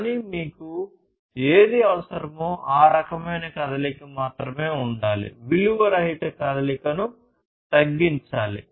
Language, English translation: Telugu, But whatever is required you should have only that kind of movement, non value added movement should be reduced